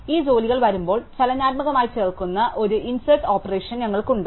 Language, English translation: Malayalam, And we obviously, have an insert operation which adds these jobs dynamically as they arrive